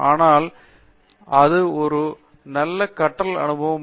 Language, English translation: Tamil, So, here it is a nice learning experience